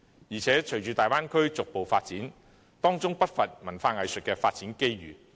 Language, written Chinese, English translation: Cantonese, 而且，隨着大灣區逐步發展，當中不乏文化藝術的發展機遇。, Moreover following the gradual development of the Bay Area there will be no lack of development opportunities for culture and arts